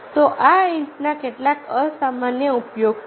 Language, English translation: Gujarati, so this are some of the unusual uses of the brick